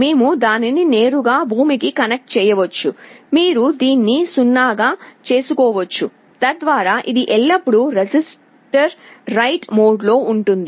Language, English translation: Telugu, We can directly connect it to ground you can make it 0 so that, it is always in the register write mode